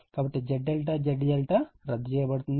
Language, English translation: Telugu, So, Z delta Z delta will be cancelled